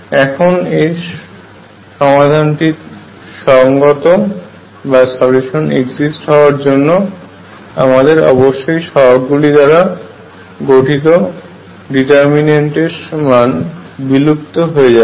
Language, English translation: Bengali, And again for the solution to exist I should have that the determinant of these coefficients must vanish